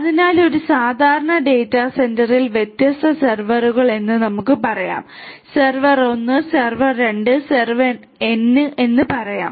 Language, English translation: Malayalam, So, in a typical data centre we will have let us say that different servers: server 1, server 2 to let us say server n right